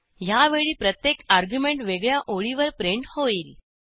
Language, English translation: Marathi, However, this time each argument will be printed on separate line